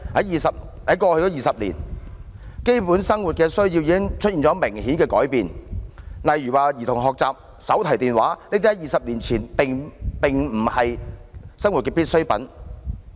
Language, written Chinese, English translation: Cantonese, 然而，在過去20年，基本生活需要已出現明顯的改變，例如兒童學習、手提電話等在20年前並非生活必需品。, Yet over the past two decades there have been obvious changes in basic needs . For instance children learning and portable phones are not regarded as daily necessities two decades ago